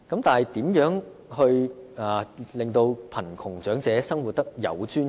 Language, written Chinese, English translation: Cantonese, 但是，如何令貧窮長者生活得有尊嚴？, But how can we enable the poor elderly to live with dignity?